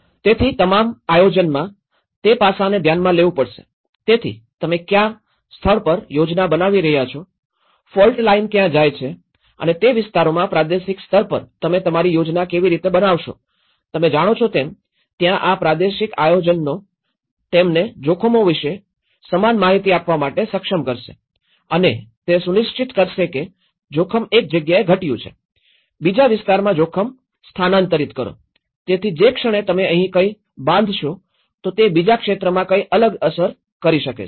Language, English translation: Gujarati, So, all the planning has to address that aspect, so where you are planning and where the regional level, the fault line is going and how to plan those areas you know, that is where the regional planning will enable you the uniform information about risks and ensures that risk reduced in one place, displace risk to another locality